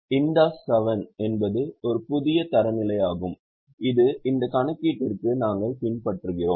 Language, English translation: Tamil, IND AS7 is a new set of standard which we are following for this calculation